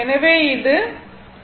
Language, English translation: Tamil, So, it is 43